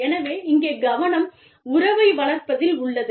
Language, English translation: Tamil, And so, the focus here is on, relationship building